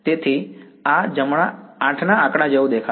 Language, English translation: Gujarati, So, this is going to look like a figure of 8 right